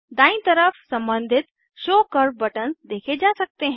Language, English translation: Hindi, On the rightside corresponding Show curve buttons are seen